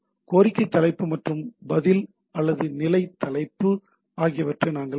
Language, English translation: Tamil, So, what we have seen request header and the response or status header